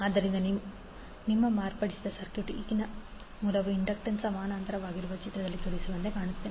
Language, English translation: Kannada, So your modified circuit will look like as shown in the figure where the current source now will be in parallel with the inductance